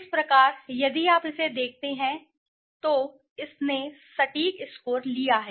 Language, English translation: Hindi, So, if you look at this, its says that it has taken the exact score